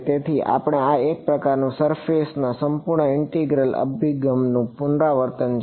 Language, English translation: Gujarati, So this is kind of like a revision of the surface integral approach right